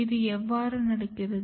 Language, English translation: Tamil, How this happens